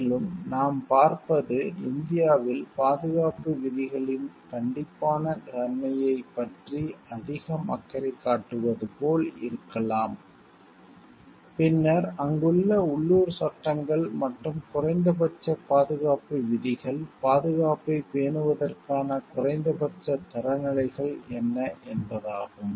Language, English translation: Tamil, And what we see about maybe these were like the more concerned with about the strictness of the safety rules, and then in India then local laws present over there and what are the minimum safety rules, minimum standards for maintaining safety